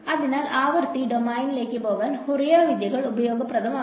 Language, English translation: Malayalam, So, that is why Fourier techniques become useful to go into the frequency domain